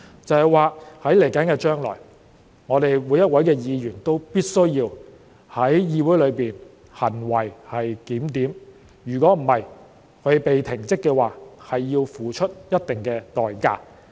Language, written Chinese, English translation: Cantonese, 這就是說，將來每一位議員都必須在議會內行為檢點，否則，他們被停職的話，他們要付出一定的代價。, That is to say in the future every Member must behave themselves in the legislature otherwise they will have to pay a price when being suspended from office